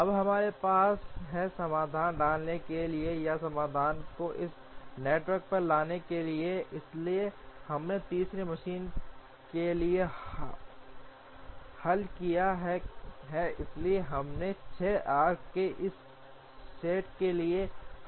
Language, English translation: Hindi, Now, we have to put the solution or superimpose the solution on this network, so we have solved for the third machine, so we have solved for this set of 6 arcs